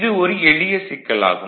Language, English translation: Tamil, So, this is very simple thing